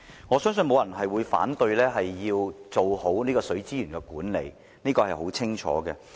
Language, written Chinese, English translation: Cantonese, 我相信沒有人會反對要做好水資源管理，這點很清楚。, I believe that no one will oppose the idea that we should do a good job in managing water resources and this point is clear